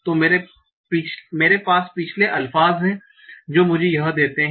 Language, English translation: Hindi, So I have the previous alpha that gives me this